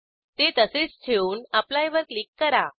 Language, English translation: Marathi, Lets leave as it is and click on Apply